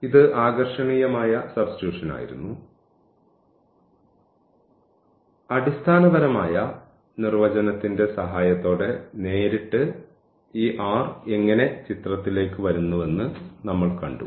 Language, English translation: Malayalam, So, this was awesome substitution, but directly with the help of the basic the fundamental definition we have seen that how this r is coming to the picture